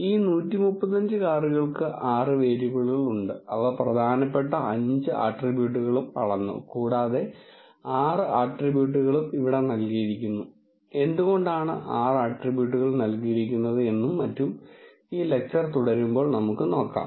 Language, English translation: Malayalam, And this 135 cars they have 6 variables, they have measured all the 5 attributes which are important and the 6 attribute is also given here we will see why the 6 attribute is given and so on as we go on in this lecture